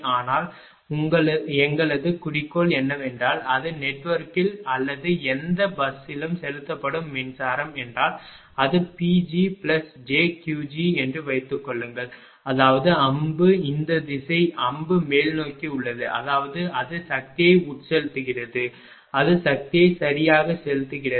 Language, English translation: Tamil, But our objective is only thing that if it is a power being injected into the network or any bus if it is suppose this is P g and this is plus j Q g; that means, arrow is this direction arrow is upward; that means, it is injecting power it is injecting power right